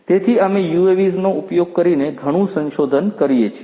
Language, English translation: Gujarati, So, we do a lot of research using UAVs